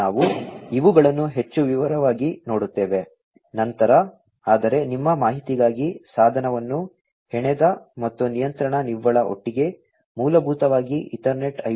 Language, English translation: Kannada, So, we will you know look at these in more detail, later on, but just for your information device knit and control net together, basically controls the different layers of Ethernet IP